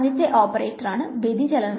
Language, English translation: Malayalam, So, the first operator is the divergence